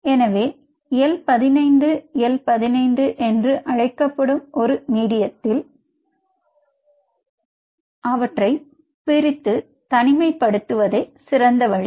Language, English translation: Tamil, so the best way is to isolate them in a medium called l fifteen, l fifteen